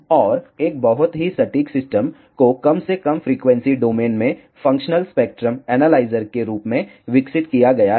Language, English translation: Hindi, And, a very accurate system has been developed at least in the frequency domain to have a functional spectrum analyzer